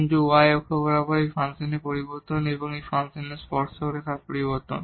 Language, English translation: Bengali, But, along this y axis this is the change in the function and this is the change in the tangent line of the function